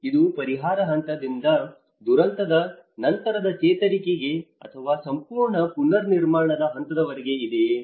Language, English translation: Kannada, Is it from the relief stage to the post disaster recovery or the whole reconstruction stage